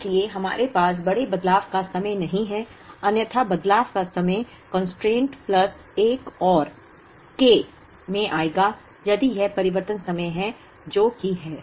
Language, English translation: Hindi, So, we do not have large changeover times, otherwise the changeover time will come into the constraint plus another K, if that is the changeover time which is that